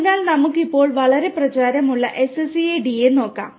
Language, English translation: Malayalam, So, we will now have a look at the SCADA which is very popular